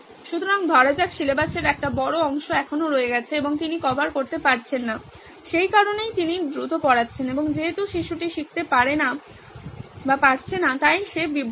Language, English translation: Bengali, So let’s say a large portion of syllabus still remains and she is not able to cover that’s why she is going fast and since the kid cannot keep up the kid is distracted